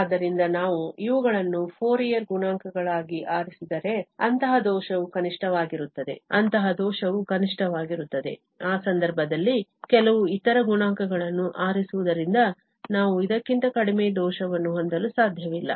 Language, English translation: Kannada, So, if we choose these as Fourier coefficients, then such error is minimum, such error is minimum, in that case, we cannot have the less error than this one by choosing some other coefficients